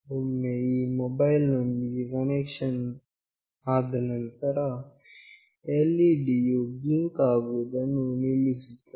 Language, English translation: Kannada, Once the connection is established with this mobile, the LED has stopped blinking